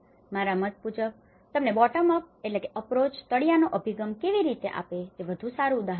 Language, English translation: Gujarati, I think this gives you a good example of how the bottom up approach